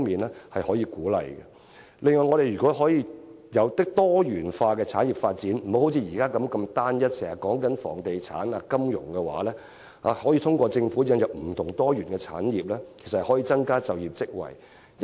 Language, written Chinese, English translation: Cantonese, 另外，如果我們能有多元化的產業發展，而非現時集中於房地產、金融等單一發展，我們便可通過政府引入不同的、多元的產業，藉此增加就業職位。, Moreover in case we can possibly achieve diversified development of our sectors instead of solely focusing on such sectors as real estate and finance we will be able to generate more jobs via the new diversified industries brought by the Government